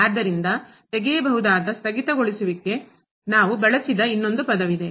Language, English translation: Kannada, So, there is another term we used for removable discontinuity